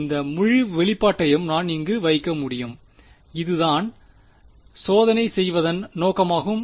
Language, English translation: Tamil, So, this whole expression I can put inside over here that is the meaning of doing testing